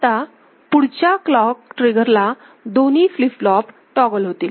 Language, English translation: Marathi, So, next clock trigger, both the flip flop toggle